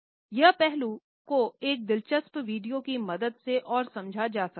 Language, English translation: Hindi, This aspect can be further understood with the help of this interesting video